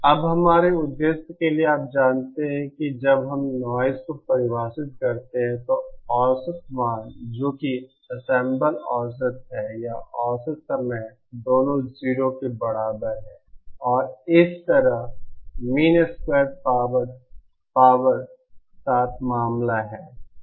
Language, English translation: Hindi, Now for our purpose you know when we define noise, the average value that is the ensemble average or the time average both are equal to 0